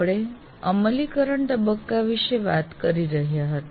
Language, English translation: Gujarati, We were looking at the implement phase